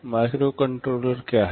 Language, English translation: Hindi, What is a microcontroller